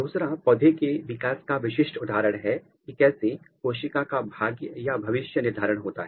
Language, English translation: Hindi, Next characteristic feature of plant development is how cell fate is determined